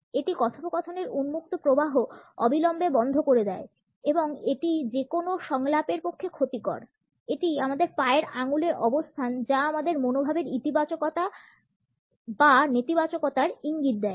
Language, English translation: Bengali, It immediately stops, the open flow of conversation and is detrimental in any dialogue; it is the position of our toes which suggest a positivity or negativity of our attitude